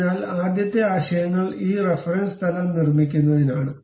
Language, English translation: Malayalam, So, the first concepts is about constructing this reference plane